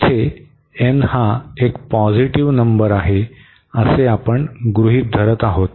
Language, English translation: Marathi, So, suppose here n is a positive number